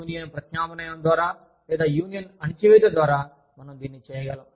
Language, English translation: Telugu, We could either do it, by through, union substitution, or, we could do it through, union suppression